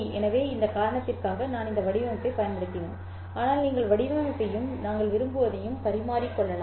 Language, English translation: Tamil, So for that reason I have used this format but you are free to interchange this format as well as what you want